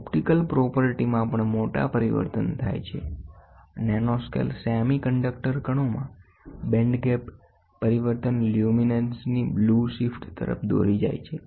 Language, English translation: Gujarati, The optical property also undergoes major change, the band gap changes in nanoscale semiconductor particles lead to a blue shift of luminescence